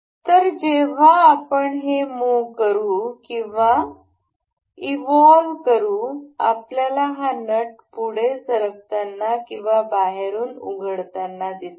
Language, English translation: Marathi, So, as we move this we as we evolve this nut we can see this moving forward or opening it outward